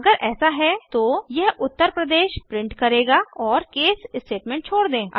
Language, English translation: Hindi, If it is so, it will print out Uttar Pradesh and exit the case statement